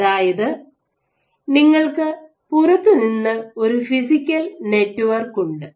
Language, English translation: Malayalam, So, then you have a physical network from outside